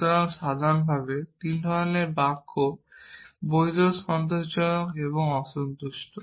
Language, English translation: Bengali, So, in general there are three kind of sentences valid satisfiable and unsatisfiable